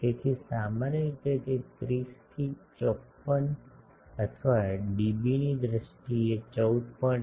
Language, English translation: Gujarati, So, typically that comes to 30 to 54 or in dB terms 14